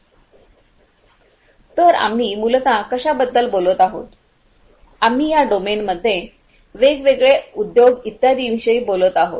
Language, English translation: Marathi, So, we are essentially talking about what; we are talking about different industries right, different industries etc